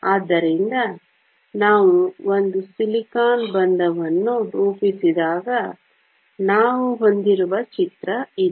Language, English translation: Kannada, So, this is the picture we have when we have one silicon bond being formed